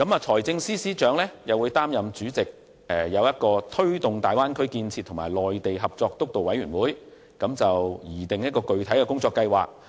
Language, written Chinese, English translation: Cantonese, 由政務司司長擔任主席的推進大灣區建設及內地合作督導委員會，將會擬訂具體的工作計劃。, The Steering Committee on Taking Forward Bay Area Development and Mainland Co - operation chaired by the Chief Secretary for Administration will formulate concrete work plans